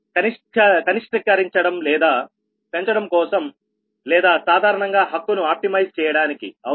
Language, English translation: Telugu, right so for minimizing or maximizing or in general for optimizing